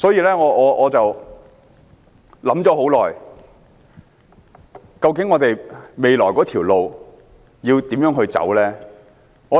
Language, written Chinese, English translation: Cantonese, 因此，我想了很久，究竟我們未來的路應如何走下去？, Thus I have considered for a long time about the way forward